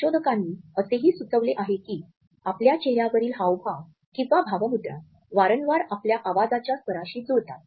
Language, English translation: Marathi, Researchers have also suggested that our facial expressions often match with the tonality of our voice